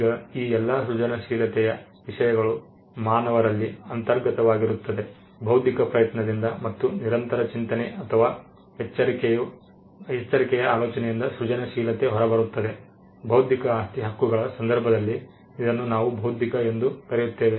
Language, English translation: Kannada, Now, all these things creativeness, that is inherent in human beings, creativity that comes out of an intellectual effort, and idea that comes from constant thinking or careful thinking; these things is what we referred to as intellectual in the context of intellectual property rights